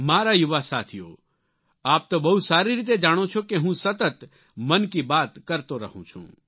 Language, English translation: Gujarati, My young friends, you know very well that I regularly do my 'Mann Ki Baat'